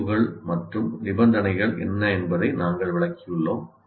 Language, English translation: Tamil, We have explained what values and conditions